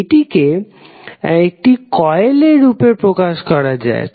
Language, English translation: Bengali, This is represented in the form of coil